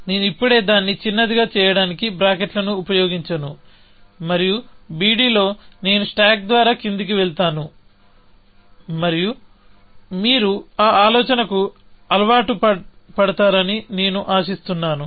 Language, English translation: Telugu, I will just use, I will not use brackets, just to make it short; and on b d, and I will go by stack downwards, and I hope that you get used to that idea